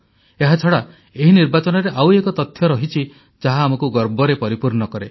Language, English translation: Odia, Besides this, there is another fact pertaining to these Elections, that swells our hearts with pride